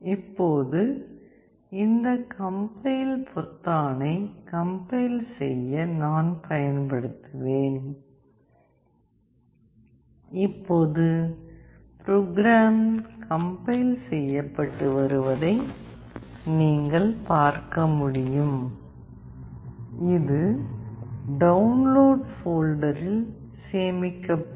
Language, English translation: Tamil, Now, I will use this compile button to compile it, now the code is getting compiled you can see and I have told you that, it will get saved in Download folder